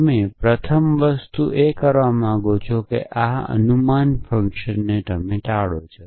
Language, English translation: Gujarati, The first thing you want to do is avoid this guess work